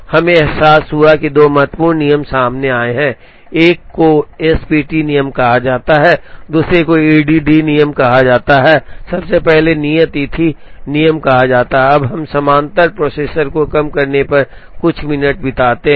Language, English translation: Hindi, We realize the two important rules have come out, one is called the S P T rule, the other is called the E D D rule or the earliest due date rule, now we spend a few minutes on minimizing in parallel processors